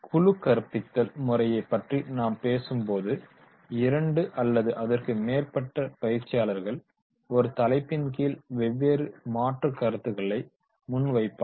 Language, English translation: Tamil, When we talk about the team teaching here two are more trainers present, different topics are alternative views of the same topic